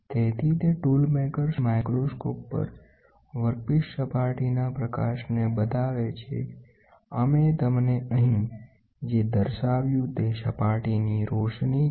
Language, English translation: Gujarati, So, it shows the surface of the workpiece surface illumination the tool maker’s microscope, what we showed you here is surface illumination